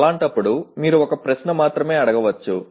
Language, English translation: Telugu, In that case, you can only ask one question